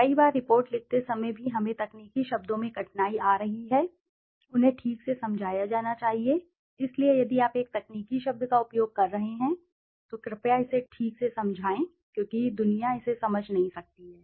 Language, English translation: Hindi, Many a times while writing a report even we are finding difficulty in the technical terms; they should be properly explained, so if you are using a technical term kindly explain it properly because the world might not understand it